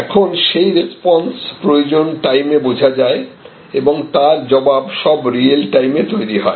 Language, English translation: Bengali, So, now, that response, that need is felt in real time and response can be generated in real time